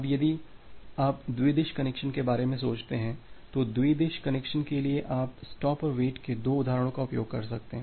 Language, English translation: Hindi, Now, for if you think about bidirectional connections, for bidirectional connection, you can use two instances of stop and wait